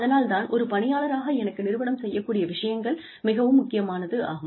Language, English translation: Tamil, And, that is why, it is important to me, as an employee, that the company does, something for me